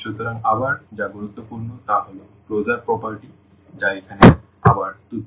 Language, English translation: Bengali, So, again what is also important the closure properties which are again trivial here